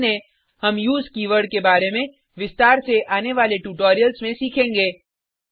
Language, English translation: Hindi, Note: We will learn about use keyword in detail in subsequent tutorials